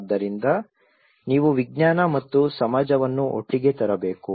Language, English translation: Kannada, So you have to bring the science and society together